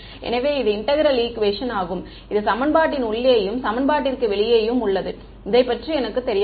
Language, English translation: Tamil, So, this is the integral equation my unknown is both inside the equation and outside the equation right